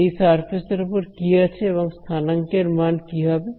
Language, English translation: Bengali, What are on this surface over here what are the values of the coordinates right